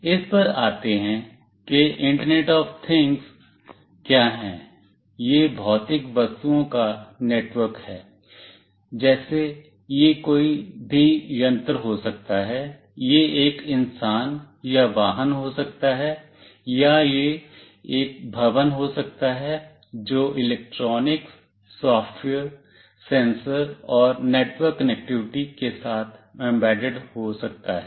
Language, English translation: Hindi, Coming to what is internet of things, it is the network of physical objects, like it could be any device, it could be a human being or a vehicle, or it could be a building, embedded with electronics, software, sensors, and network connectivity